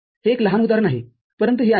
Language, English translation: Marathi, This is small example, but this holds